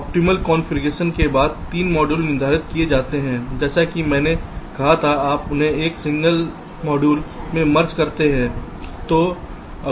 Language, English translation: Hindi, so after the optimal configuration for the three modules are determined, as i said, you merge them into a single module